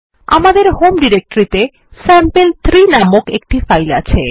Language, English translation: Bengali, We have a file named sample3 in our home directory